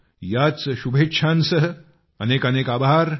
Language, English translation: Marathi, Best wishes to all of you